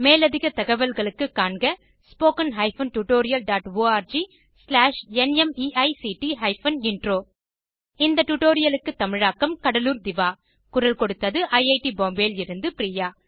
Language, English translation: Tamil, For more information, visit: http://spoken tutorial.org/NMEICT Intro This is Anuradha Amrutkar from IIT Bombay signing off